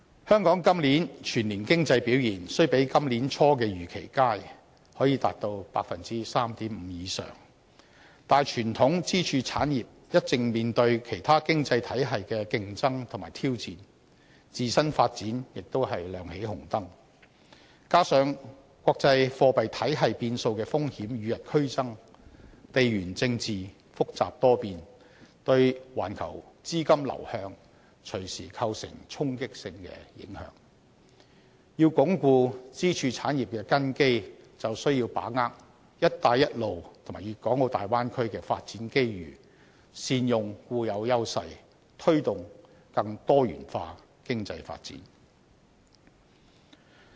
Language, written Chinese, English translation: Cantonese, 香港今年全年經濟表現雖比今年年初的預期為佳，增長率達到 3.5% 以上，但傳統支柱產業一直面對其他經濟體系的競爭和挑戰，自身發展也亮起紅燈，加上國際貨幣體系變數的風險與日俱增，地緣政治複雜多變，對環球資金流向隨時構成衝擊性的影響，要鞏固支柱產業的根基，便需要把握"一帶一路"和大灣區的發展機遇，善用固有優勢，推動更多元化經濟發展。, Although Hong Kongs annual economic performance this year is better than what was expected at the beginning of the year and a growth rate of more than 3.5 % has been recorded the traditional pillar industries have been facing competition and challenges from other economies and there are already warning signs in their development . Furthermore with increasing risks of changes to the international monetary system and under complex and volatile geopolitical situations global capital flows may suffer hard blows at any time . To strengthen the foundation of our pillar industries we have to seize development opportunities brought by the Belt and Road Initiative and the Bay Area development leverage our advantages and promote a more diversified development of our economy